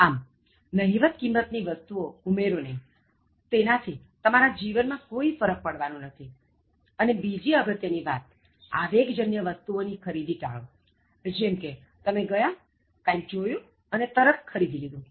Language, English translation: Gujarati, So, no value things, things by not adding, it is not going to make any difference in your life and then the other important thing is you should avoid impulsive purchases like, you go, see something and then immediately you buy